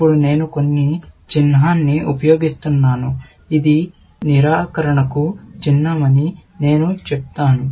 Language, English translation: Telugu, Now, I will just use some symbol, which I will claim is a symbol for negation